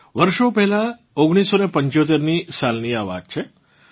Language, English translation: Gujarati, This took place years ago in 1975